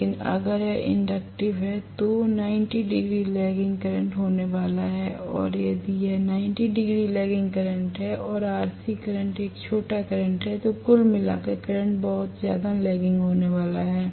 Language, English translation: Hindi, But if it is inductive, I am going to have 90 degree lagging current and if it is 90 degree lagging current and RC current is a small current then overall current is going to be extremely lagging